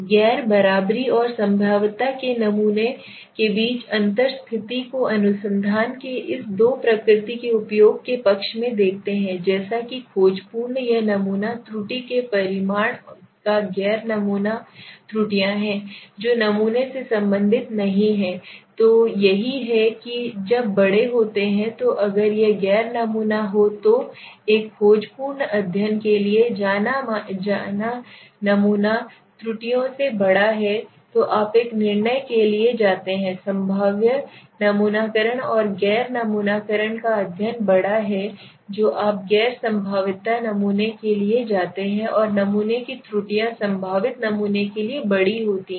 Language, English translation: Hindi, Where we are saying the difference between the nonprobablity and probability sampling so if you see this condition favoring the use of this two right nature of research as I also said exploratory this is conclusive the magnitude of sampling error non sampling errors are which is not related to the sample exactly so here this is when there are larger so if it is non sampling are larger go for a exploratory study the sampling errors are larger then you go for a conclusive study sorry probabilistic sampling and non sampling is larger you go for a non probabilistic sampling and sampling errors are larger go for probabilistic sampling